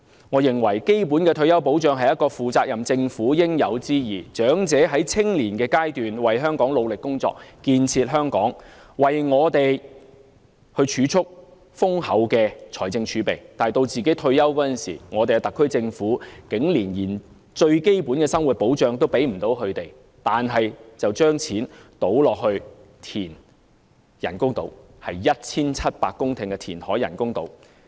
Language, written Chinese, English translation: Cantonese, 我認為基本的退休保障是一個負責任政府的應有之義，長者在青年時為香港努力工作，建設香港，為我們預留豐厚的財政儲備，但當他們退休時，香港特區政府竟然連最基本的生活保障都未能提供給他們，更將金錢用來填海和興建人工島——那是填海 1,700 公頃興建人工島。, In my opinion it is incumbent upon a responsible government to provide its people with basic retirement protection . Elderly people have worked hard for Hong Kong when they were young and their efforts have contributed to the accumulation of our huge fiscal reserves but upon their retirement the HKSAR Government cannot even provide them with the most basic living protection . Worst still public money will be spent on reclamation projects and the construction of artificial islands with a total area of 1 700 hectares